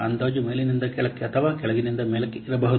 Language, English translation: Kannada, The estimation can be a top down or bottom up